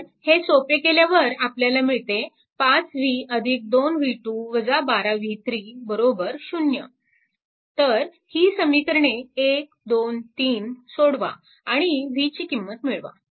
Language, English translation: Marathi, So, and simplify you will get 5 v plus 2, v 2 minus 12 b 3 is equal to 0